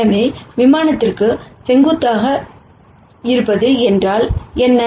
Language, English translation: Tamil, So, what does n being perpendicular to the plane mean